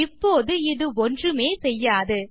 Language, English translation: Tamil, Now this would do absolutely nothing